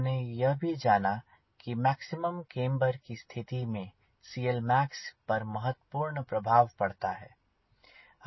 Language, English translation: Hindi, we also realized location of maximum camber plays an important role in c l max